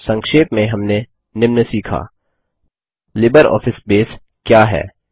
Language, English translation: Hindi, In this tutorial, we will learn about What is LibreOffice Base